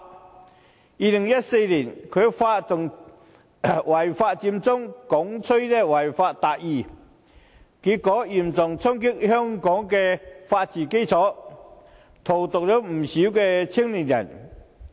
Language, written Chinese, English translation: Cantonese, 在2014年，他發動違法佔中，鼓吹"違法達義"，結果嚴重衝擊香港的法治基礎，荼毒了不少青年人。, In 2014 he initiated the illegal Occupy Central movement and advocated achieving justice by violating the law . It resulted in a heavy blow to the foundation of the rule of law in Hong Kong poisoning the minds of many young people